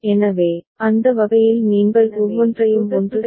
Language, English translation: Tamil, So, that way you can consider each one of them as 1 ok